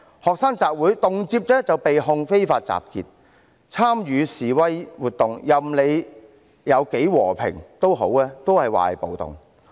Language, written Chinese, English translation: Cantonese, 學生集會，動輒就被指控非法集結；參與示威活動，無論是多麼和平，也被說成是暴動。, Student rallies were often taken as unlawful assemblies . Demonstrations were often taken as riots regardless of how peaceful they were